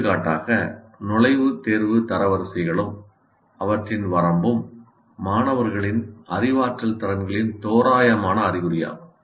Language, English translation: Tamil, For example, entrance test ranks and their range is an approximate indication of the cognitive abilities of the students